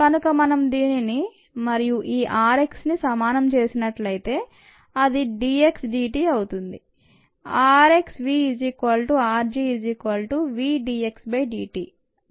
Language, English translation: Telugu, so if we equate this and this, r x is nothing but d x d t